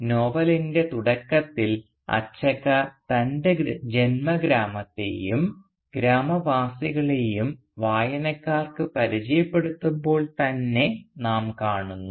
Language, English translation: Malayalam, And we see this in play quite early in the novel when Achakka introduces to the readers her native village and its inhabitants